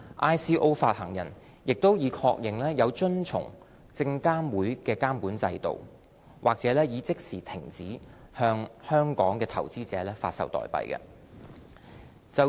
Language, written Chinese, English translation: Cantonese, ICO 發行人亦已確認有遵從證監會的監管制度，或已即時停止向香港投資者發售代幣。, Issuers of ICOs also confirmed compliance with SFCs regulatory regime or immediately ceased to offer tokens to investors in Hong Kong